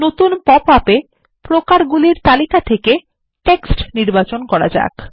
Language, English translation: Bengali, In the new popup, let us select Text in the Type list